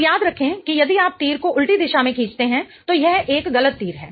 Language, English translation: Hindi, Now, remember if you draw the arrow in the reverse direction it is a wrong arrow